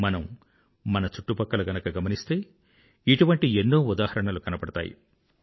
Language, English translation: Telugu, If we look around, we can see many such examples